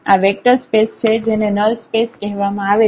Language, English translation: Gujarati, This is a vector space which is called null space